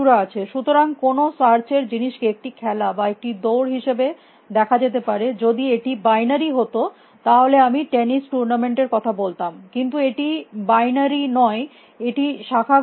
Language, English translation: Bengali, So, any search thing can be seen as one game or one race that you want to call, if it is binary I could have talked about tennis tournament but, it is not binary it is branching factor b